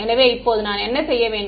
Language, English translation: Tamil, So, now, what should I do